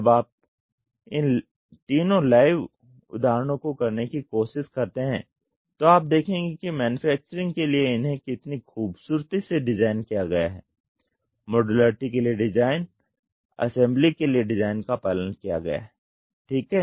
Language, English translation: Hindi, When you try to do all these three live examples you will see how beautifully designed for manufacturing, design for modularity, design for assembly is followed ok